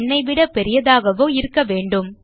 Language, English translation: Tamil, Or it must be greater than n